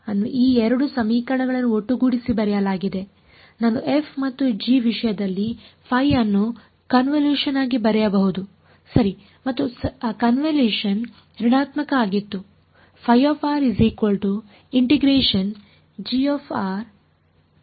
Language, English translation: Kannada, Phi of r was written as combining these 2 equations I can write phi in terms of f and g as the convolution right and that convolution was minus